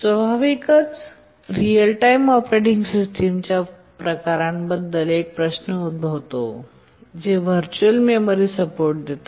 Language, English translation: Marathi, Naturally a question arises which are the types of the real time operating systems which support virtual memory